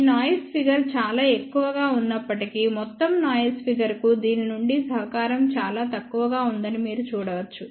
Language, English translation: Telugu, You can actually see that even though this noise figure is very high, contribution from this to the overall noise figure is very very small